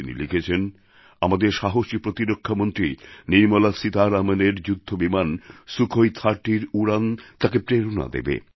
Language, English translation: Bengali, He writes that the flight of our courageous Defence Minister Nirmala Seetharaman in a Sukhoi 30 fighter plane is inspirational for him